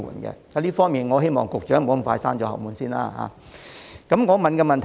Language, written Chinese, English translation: Cantonese, 因此，我希望局長不要急於對這項建議"閂後門"。, Therefore I hope the Secretary will not hastily shut the door on this proposal